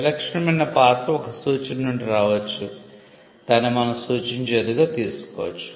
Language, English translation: Telugu, The distinctive character can come from a suggestion what we call it can be suggestive